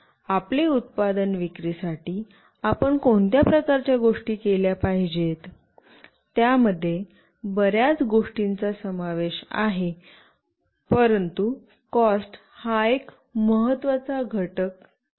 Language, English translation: Marathi, So, what kind of things you should do to sell your product, there are lot many things that are involved, but cost is an important factor